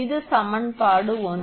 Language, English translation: Tamil, This is equation one